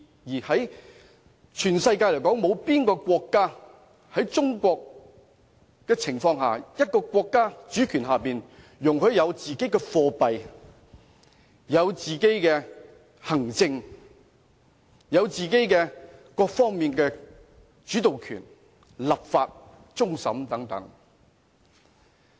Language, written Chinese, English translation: Cantonese, 環顧全世界，有哪個國家像中國一樣，一個主權國家容許一個地區有自己的貨幣、自己的行政制度，以及各方面的主導權，包括立法和終審等。, Let us look at other places in the world is there a sovereign state like China that allows a region of its jurisdiction to have its own currency and its own administrative system and to assume a leading role in various aspects including enactment of legislation and final adjudication?